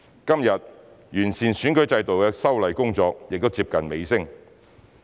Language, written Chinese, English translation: Cantonese, 今天，完善選舉制度的修例工作亦接近尾聲。, Today the legislative amendment exercise on improving the electoral system is also drawing to a close